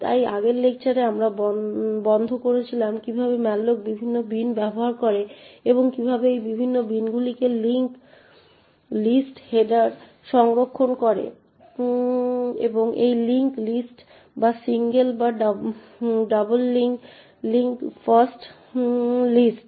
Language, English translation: Bengali, So in the previous lecture we stopped off at how malloc uses the various bins and how these various bins store linked lists headers and this link list to be either single or doubly linked lists